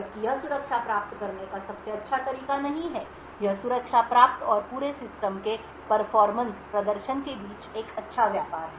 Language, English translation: Hindi, While this is not the best way of achieving security, it is a good tradeoff between security achieved and the performance of the entire system